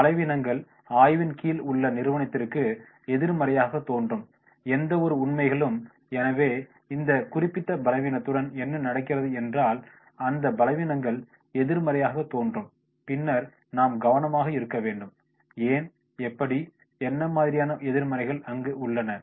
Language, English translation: Tamil, Weaknesses, any facts that appear to be negative for the company under study, so whatever is going with this particular weakness then those weaknesses that appears to be negative then we have to be careful that is we will find out that is how, what are the negatives there